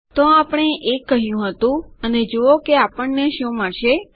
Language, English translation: Gujarati, So we said this 1 and see what will we get